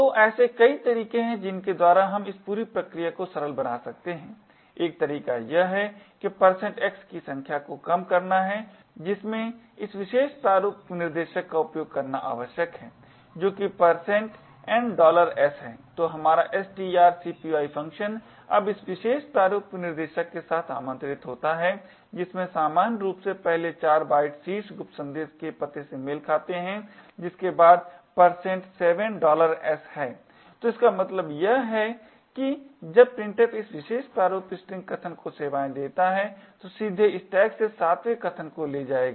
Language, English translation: Hindi, So there are several ways by which we can simplify this entire process one way is to reduce the number of % x that is required by using this particular format specifier that is % N $s, so our string copy function is now invoked with this particular format specifier as usual the first 4 bytes corresponds to the address of the top secret message followed by % 7$s, so what this means is that when printf services this particular format string argument it would directly pick the 7th argument from the stack